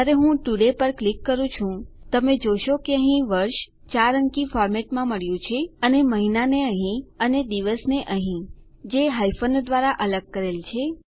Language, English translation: Gujarati, When I click today, you can see here that we have got the year in a 4 digit format and our month here and our day here, separated by hyphens